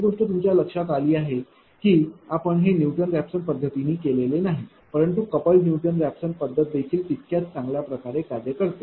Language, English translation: Marathi, We have noticed that, you have not we have not done it through Newton Raphson method, but couple Newton Raphson method also works equally OL, right